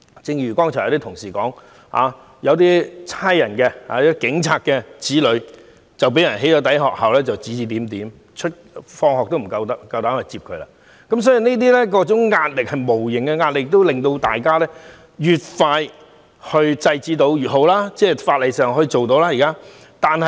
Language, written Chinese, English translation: Cantonese, 正如剛才一些同事所說，有警務人員的子女被"起底"，不僅在學校被指指點點，往返學校也面對很多不便，這種種無形壓力，均令我們感到越快制止這些行為越好。, As some fellow colleagues have mentioned just now children of some police officers have been doxxed and they have not only become subjects of gossips at school but also encountered much inconvenience when going to and leaving schools . These sorts of invisible pressure have made us feel that the sooner we curb doxxing acts the better